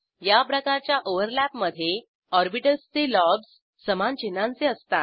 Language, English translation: Marathi, In this type of overlap, lobes of orbitals are of same sign